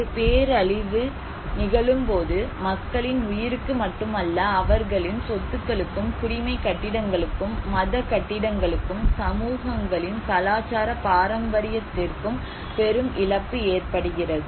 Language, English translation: Tamil, Whenever a disaster happens, we encounter a huge loss not only to the lives of people but to their properties, to the civic buildings, to the religious buildings, to the cultural heritage of the communities